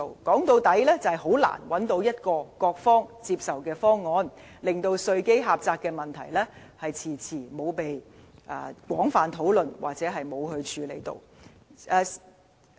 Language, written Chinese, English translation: Cantonese, 說到底，是難以找到各方接受的方案，令稅基狹窄的問題遲遲沒有被廣泛討論或處理。, After all it is very difficult if not impossible to formulate a proposal acceptable to every parties . As a result the problem of narrow tax base has long been left aside not discussed or addressed